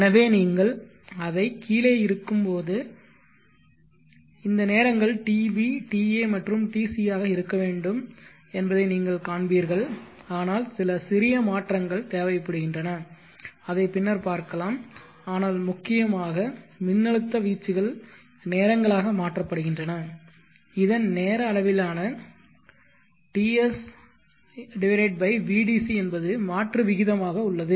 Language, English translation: Tamil, We see would give a time corresponding to we see so if you drop down there so you will see that these times are PV ,TA and TC should be but there is some small modification I will come to that later but essentially the principle is that the voltage amplitudes are converted two times in the time scale by this converts a conversion ratio TS by VDC now let me draw the time axis signals here ABC which are supposed to be the output of the PWM